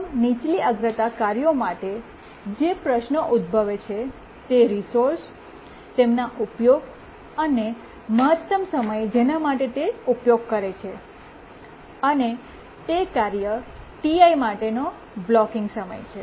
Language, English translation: Gujarati, For all the lower priority tasks, what is the resources they use and what is the maximum time they use and that is the blocking time for the task I